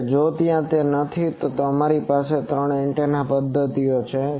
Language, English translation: Gujarati, Now if that is not there, then we have three antenna methods